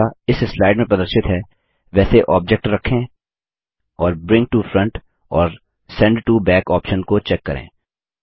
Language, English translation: Hindi, Now place the object as shown on this slides and check bring to front and sent to back option